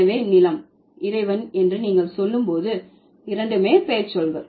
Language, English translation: Tamil, So, when you say landlord, both are nouns